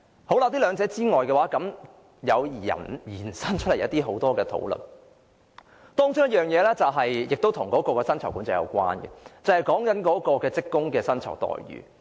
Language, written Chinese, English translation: Cantonese, 除了這兩點之外，也引發出很多其他討論，其中一項亦與利潤管制有關，便是職工的薪酬待遇。, These two points aside many other aspects are also relevant to this discussion here . One of these aspects which also relates to profit control is employees salaries and fringe benefits